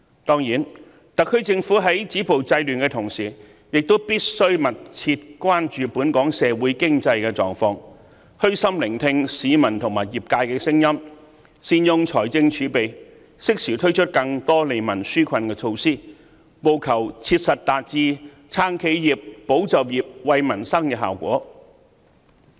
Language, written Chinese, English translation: Cantonese, 當然，特區政府在止暴制亂的同時，亦必須密切關注本港社會經濟狀況，虛心聆聽市民及業界的聲音，善用財政儲備，適時推出更多利民紓困的措施，務求切實達至"撐企業"、"保就業"、"惠民生"的效果。, Of course in the course of stopping violence and curbing disorder it is necessary for the SAR Government to keep a close eye on our socio - economic situation listen humbly to the voices of the people and the trade put fiscal reserves to good use and introduce more relief measures in a timely manner to achieve the goals of supporting enterprises safeguarding jobs and stabilizing the economy